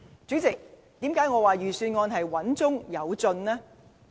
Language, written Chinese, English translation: Cantonese, 主席，為何我說預算案穩中有進呢？, President why do I say that the Budget seeks progress in a measured manner?